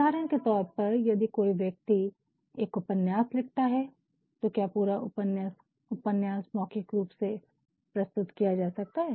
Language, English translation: Hindi, For example, if somebody writes a novel can the entire novel be presented orally not at all fine